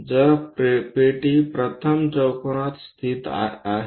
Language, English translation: Marathi, So, a box located in the first quadrant